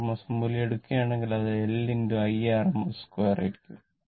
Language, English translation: Malayalam, If you take the rms value, it will be L into I rms square right